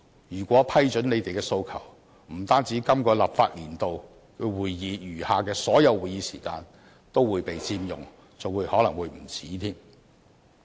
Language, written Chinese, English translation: Cantonese, 如果批准他們的訴求，今個立法年度餘下的所有會議時間都會被佔用，甚至還不足夠。, If their demands were acceded to the remaining meeting time of the current legislative session would be fully occupied by such debates or might even be insufficient for them